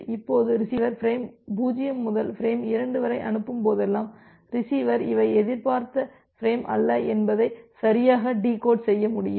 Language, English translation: Tamil, Now whenever the receiver is sending the frame 0 to frame 2 the receiver will be able to correctly decode that these are not the expected frame